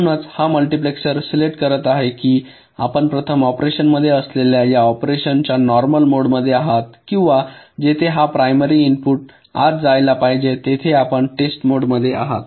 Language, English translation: Marathi, so this multiplexor will be selecting whether i mean you are in the normal mode of operation, where this primary input should go in, or you are in the test mode where this pattern should go in